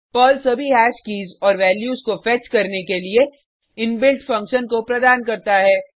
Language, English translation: Hindi, Perl provides inbuilt function to fetch all the hash keys and values